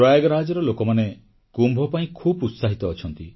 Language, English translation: Odia, People of Prayagraj are also very enthusiastic about the Kumbh